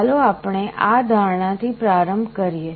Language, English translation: Gujarati, Let us start with this assumption